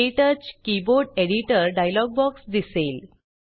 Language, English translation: Marathi, The KTouch Keyboard Editor dialogue box appears